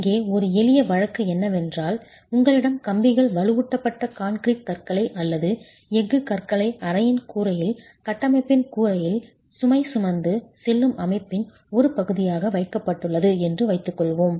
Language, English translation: Tamil, A simple case here is let us assume that you have beams, reinforced concrete beams or a steel beam that is placed in the roof of the room, in the roof of the structure as part of the load carrying system and this beam is then supported on two walls